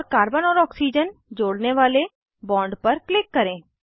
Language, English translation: Hindi, And click on the bond connecting carbon and oxygen